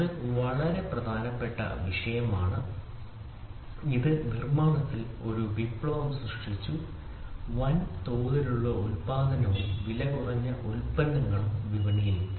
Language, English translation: Malayalam, So, this is a very important topic this made a revolution in manufacturing, this made mass production and economical products come into the market